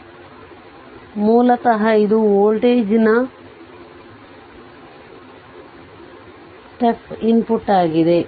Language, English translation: Kannada, So, basically it is a voltage step input